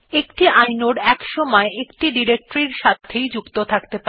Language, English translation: Bengali, Inodes are associated with precisely one directory at a time